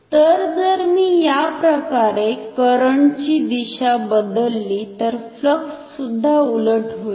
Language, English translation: Marathi, So, if I change the direction of the current like this, then the flux will also get reversed